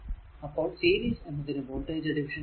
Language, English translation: Malayalam, So, series resistors and your voltage division